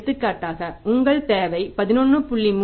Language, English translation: Tamil, For example your requirement is 11